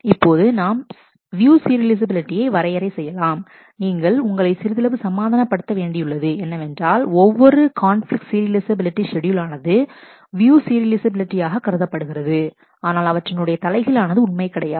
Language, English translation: Tamil, Now we are defining the view serializability, with a little bit of thought you can convince yourself that every conflict serializable schedule is also view serializable, but the reverse is not true